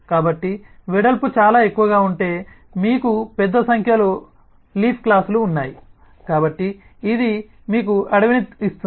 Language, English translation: Telugu, so if the breadth is very high, then you have a large number of leaf classes